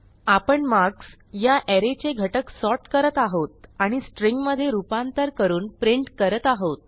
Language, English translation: Marathi, Now we are sorting the element of the array marks and then printing the string form of it